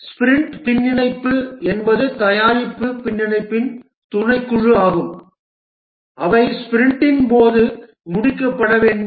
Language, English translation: Tamil, The sprint backlog is a subset of product backlog which are to be completed during a sprint